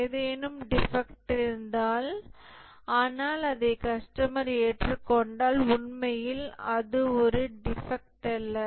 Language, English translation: Tamil, If something is a defect, but the customer is okay with that, that's not really a defect